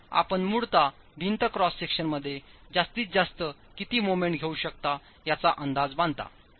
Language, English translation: Marathi, So you basically make an estimate of what the maximum moment that the wall cross section can carry